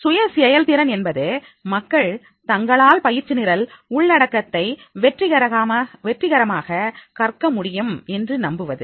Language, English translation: Tamil, Self efficacy means people's belief that they can successfully learn the training program content